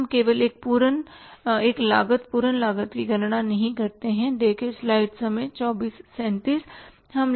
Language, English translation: Hindi, Now we don't calculate only one cost, full cost